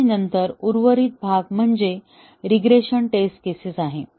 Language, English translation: Marathi, And then, the remaining part is the regression test cases